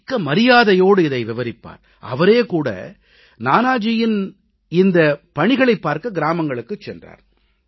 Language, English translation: Tamil, He used to mention Nanaji's contribution with great respect and he even went to a village to see Nanaji's work there